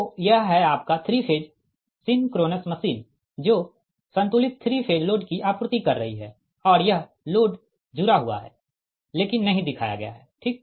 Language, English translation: Hindi, so this is that your synchronous three phase synchronous machine supplying balanced three phase load